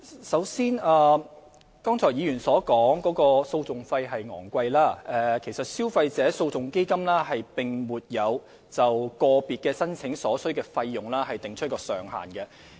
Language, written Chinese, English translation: Cantonese, 首先，就議員剛才提到訴訟費高昂的問題，基金並沒有就個別申請所需的費用訂出上限。, First of all on the question of exorbitant litigation costs mentioned by the Honourable Member just now the Fund does not impose a cap on the amount of funds sought in each application